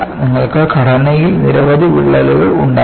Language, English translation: Malayalam, You will have many cracks in the structure